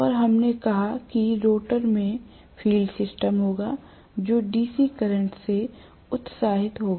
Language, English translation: Hindi, And we said that the rotor will have the field system, which will be excited by DC current